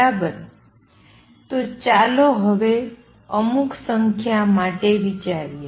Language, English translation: Gujarati, So, now let us get a feeling for some numbers